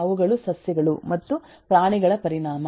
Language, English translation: Kannada, those are the consequence of plants and animals both